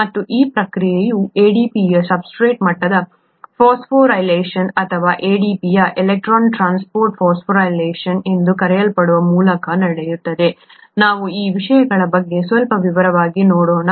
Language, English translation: Kannada, And this process happens through what is called a substrate level phosphorylation of ADP or an electron transport phosphorylation of ADP, we will look at a little bit in detail about these things